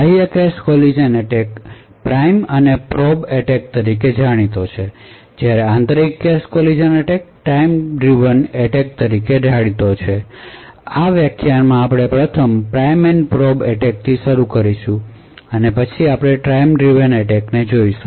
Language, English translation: Gujarati, So external cache collision attacks are popularly known as prime and probe attacks, while internal collision attacks are known as time driven attacks, so in this lecture we will first start with a prime and probe attack and then we will look at time driven attack